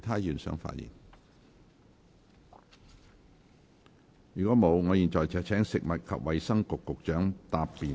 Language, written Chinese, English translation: Cantonese, 如果沒有，我現在請食物及衞生局局長答辯。, if not I now call upon the Secretary for Food and Health to reply